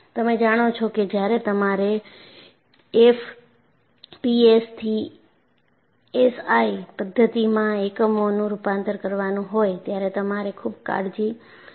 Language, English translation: Gujarati, You know, particularly, when you have to do conversion of units from fps to SI system, you will have to be very careful